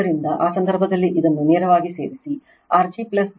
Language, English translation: Kannada, So, in that case you directly add this one, you will get R g plus j x g plus X L